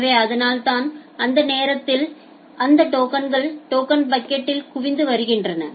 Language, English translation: Tamil, So, that is why those at that time those tokens are getting accumulated here accumulated in the token bucket